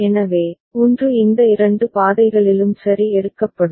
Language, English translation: Tamil, So, one of these two paths will be taken ok